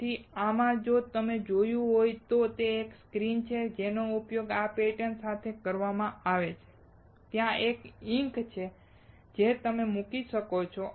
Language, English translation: Gujarati, So, in this if you have seen, there is a screen that is used with this pattern and there is ink that you can put